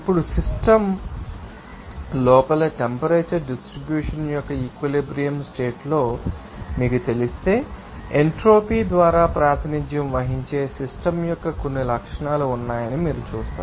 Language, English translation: Telugu, Now, you will see that if there is you know in equilibrium condition of the temperature distribution in inside the system you will see there will be a certain characteristics of the system that will be represented by the entropy